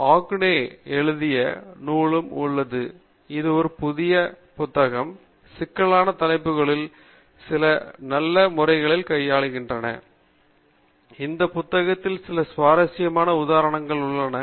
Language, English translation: Tamil, Then, you also have the book written by Ogunnaike; this is a new book, and some of the complex topics are dealt in a nice manner; there are some interesting examples also in this book